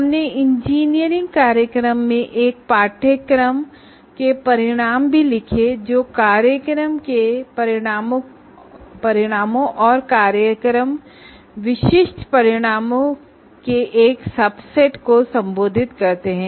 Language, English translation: Hindi, And we also wrote outcomes of a course in an engineering program that address a subset of a subset of program outcomes and program specific outcomes